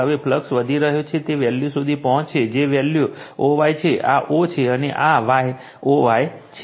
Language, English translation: Gujarati, Now, current is increasing, you will reach a value that value that is o y, this is o, and this is your y, o y right